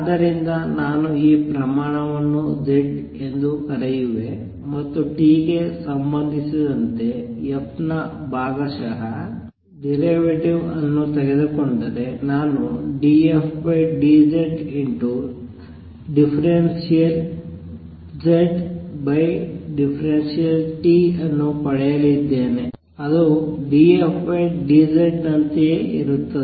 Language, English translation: Kannada, So, if I take call this quantity z and take partial derivative of f with respect to t, I am going to get d f d z times partial z over partiality t which is same as d f d z